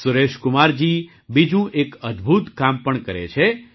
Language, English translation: Gujarati, Suresh Kumar ji also does another wonderful job